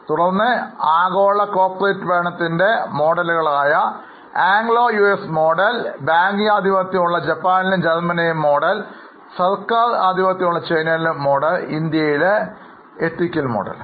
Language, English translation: Malayalam, Then we also discussed global models of corporate governance, the Anglo US model which is very much dependent on CEO and on the capital markets, then the banking dominated model of Japan and Germany, government dominated model in China and ethical model in India